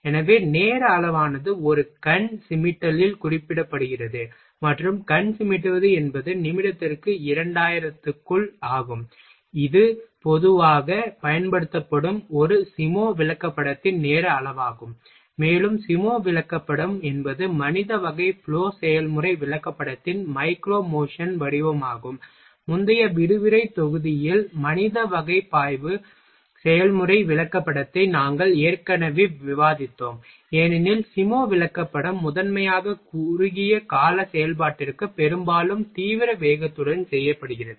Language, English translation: Tamil, So, time scale is represented in a wink, and wink is a one is to by 2000 of the minute that is the time scale in a SIMO chart generally used, and the SIMO chart is the micro motion form of the man type flow process chart we have already discussed man type flow process chart in a previous lecture module, because SIMO chart are used primarily for operation of short duration often performed with extreme rapidity